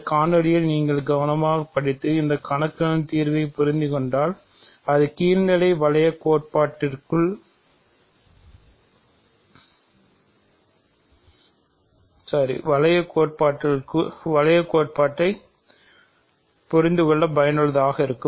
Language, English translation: Tamil, So, if you carefully follow this video and understand this problem solution, it will be useful to you in understanding ring theory